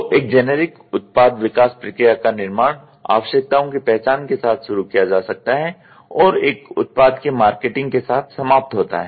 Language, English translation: Hindi, So, generic product development process: a generic product development process can be constructed starting with needs recognition and ends with the marketing of a finished part